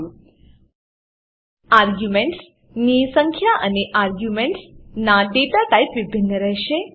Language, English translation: Gujarati, The number of arguments and the data type of the arguments will be different